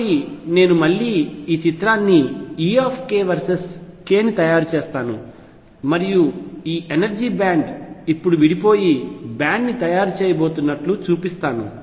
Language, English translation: Telugu, So, I will again make this picture e k versus k and show that these energy is now are going to split and make a band